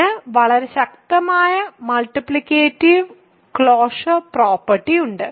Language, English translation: Malayalam, So, it has a very strong multiplicative closure property